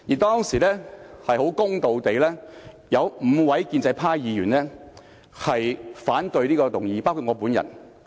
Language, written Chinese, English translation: Cantonese, 當時，很公道地，有5位建制派議員，包括我本人，反對這項議案。, Honestly five pro - establishment Members including me voted against the motion